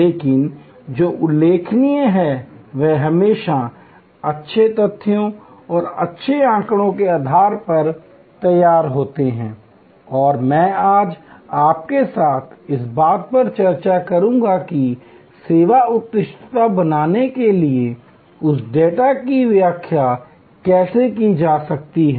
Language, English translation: Hindi, But, what is remarkable is that, they are always grounded in good facts and good data and I will discuss with you today that how that data can be interpreted to create service excellence